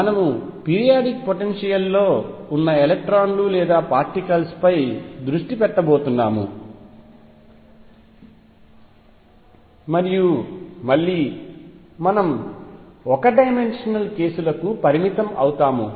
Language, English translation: Telugu, We are going to focus on electrons or particles in a periodic potential and again we will restrict ourselves to one dimensional cases